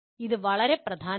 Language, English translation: Malayalam, This is very important